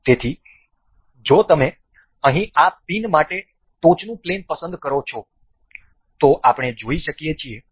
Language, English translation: Gujarati, So, if you select the top plane for this pin here we can see